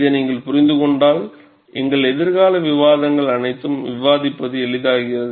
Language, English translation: Tamil, If you understand this, all our future discussions, it becomes easier to discuss